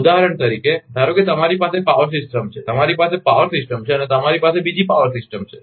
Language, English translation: Gujarati, For example, suppose you have a power system, you have a power system and you have another power system